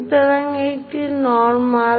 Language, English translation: Bengali, So, this is normal